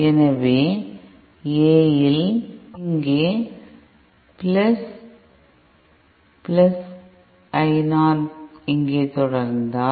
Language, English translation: Tamil, So A in +É + just if I continue here